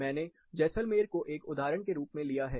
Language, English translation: Hindi, I have taken Jaisalmer as an example